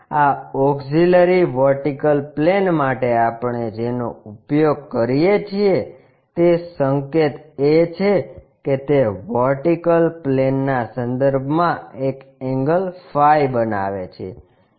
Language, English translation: Gujarati, The notation what we use for this auxiliary vertical plane is it makes an angle phi with respect to vertical plane